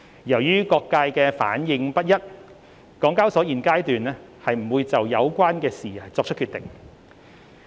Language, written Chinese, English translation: Cantonese, 由於各界的反應不一，港交所現階段不會就有關事宜作出決定。, Due to the mixed responses across the market HKEx would not make a firm decision on the matter at this stage